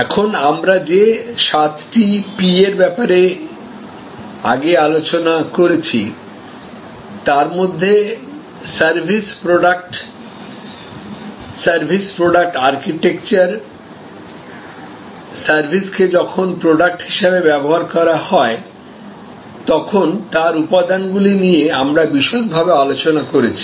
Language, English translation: Bengali, Now, of the seven P’s that we had discussed before, elements like the service product, the service product architecture, the constituting elements of service as a product we have discussed in detail